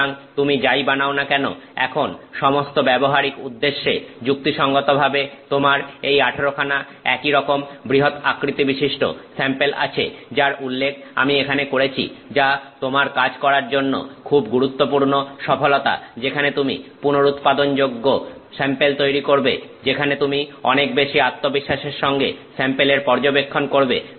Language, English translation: Bengali, So, whatever you have generated you have now got for all practical purposes 18 identical samples of this size of this fairly large size that I am mentioning here which is a very significant accomplishment for you to do work, where you are doing reproducible samples, where you can study sample behavior with much greater confidence